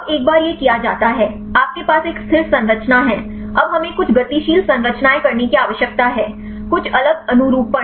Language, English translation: Hindi, Now once this is done; you have the one static structure, now we need to do some dynamic structures; some different conformations